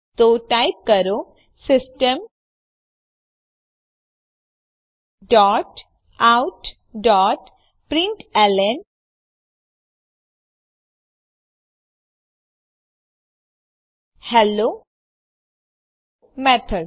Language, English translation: Gujarati, So type System dot out dot println Hello Method